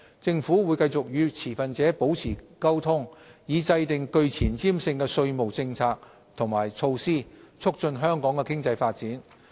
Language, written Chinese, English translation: Cantonese, 政府會繼續與持份者保持溝通，以制訂具前瞻性的稅務政策及措施，促進香港的經濟發展。, The Government will continue to maintain communication with stakeholders with the aim of formulating forward - looking tax policies and initiatives to promote the economic development of Hong Kong